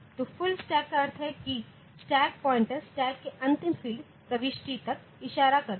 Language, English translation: Hindi, So, full stack means that the stack pointer points up to points to the last field entry last field entry in the stack